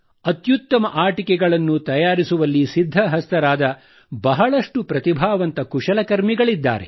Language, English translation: Kannada, There are many talented and skilled artisans who possess expertise in making good toys